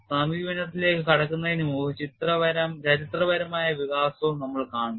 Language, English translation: Malayalam, Before we get into the approach, we will also see the historical development